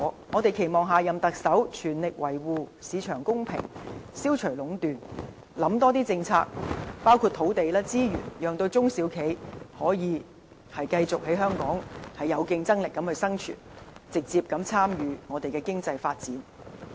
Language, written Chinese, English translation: Cantonese, 我們期望下任特首全力維護市場公平，消除壟斷，訂立更多政策，包括土地、資源的政策，讓中小企業繼續在香港有競爭力地生存，直接參與經濟發展。, We hope the next Chief Executive can exert full strength to safeguard market fairness eliminate monopoly and formulate more policies including policies on land and resources so as to allow small and medium enterprises to continue their business in Hong Kong while maintaining their competitiveness and to directly participate in economic development